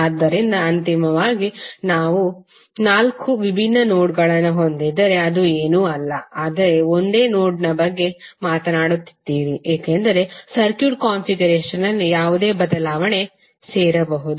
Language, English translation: Kannada, So eventually if you have four different nodes it is nothing but you are talking about one single node, because you can join then without any change in the circuit configuration